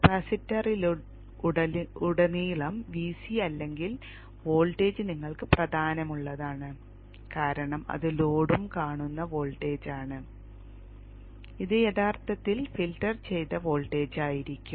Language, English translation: Malayalam, VC, a voltage across the capacitor is of importance to you because that is the voltage that the load will also be seen and this actually would be the filtered voltage